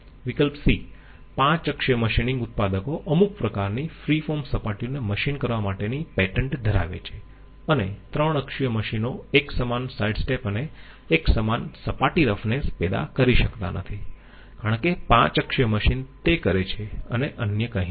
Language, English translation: Gujarati, C: 5 axis machine manufacturers hold a patent on machining some kinds of free form surfaces and three axis machines cannot produce uniform sidestep and uniform surface roughness as 5 axis machine do, and none of the others